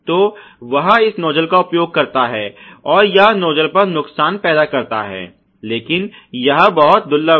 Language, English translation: Hindi, So, he uses this nuzzle and that creates damage on the nuzzle, but that is very rare ok